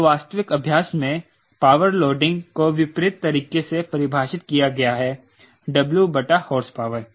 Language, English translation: Hindi, so in actual practice, power loading is defined in a reverse manner: w by horsepower